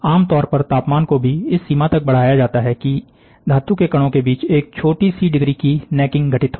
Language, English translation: Hindi, Typically, the temperature is also raised to the extent, that a small degree of necking occurs between the metal particles